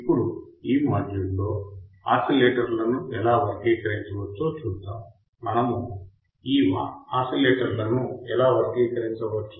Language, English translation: Telugu, Now, in this module, let us see how we can classify the oscillators; how we can classify these oscillators